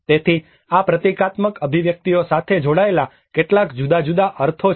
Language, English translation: Gujarati, So, like that there are some different meanings associated to these symbolic expressions